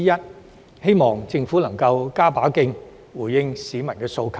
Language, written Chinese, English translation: Cantonese, 我希望政府能加把勁，回應市民的訴求。, I hope that the Government can step up its efforts in responding to public aspirations